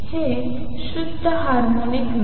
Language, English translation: Marathi, It is not a pure harmonic